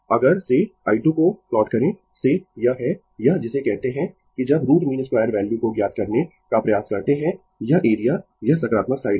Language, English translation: Hindi, If you plot the i square from it is this your what you call that when you try to find out the root mean square value, this area this is positive side